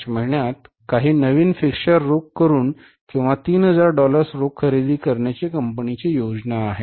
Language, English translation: Marathi, The company plans to buy some new fixtures by or for $3,000 in cash in the month of March